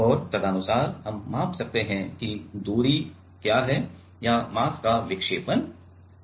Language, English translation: Hindi, And, accordingly we can measure that what is the distance or what is the deflection of the mass